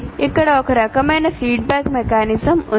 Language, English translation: Telugu, So there is a kind of a feedback mechanism here